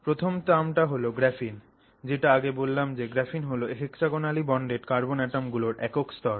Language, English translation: Bengali, The first is this term graphene which is what I just described as the single layer of hexagonally bonded carbon atoms